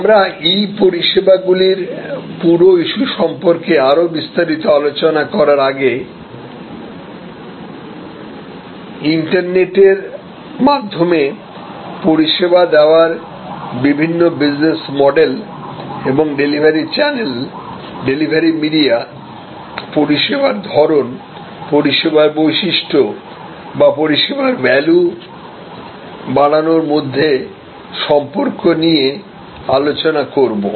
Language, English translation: Bengali, So, before we discuss in more detail about the whole issue of E services, different types of business models for services delivered over the internet and interactivity between the delivery channel, delivery media and the type of service and the characteristics of the service or enhancement of the service value